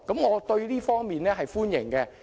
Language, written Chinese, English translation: Cantonese, 我對這方面表示歡迎。, I welcome these initiatives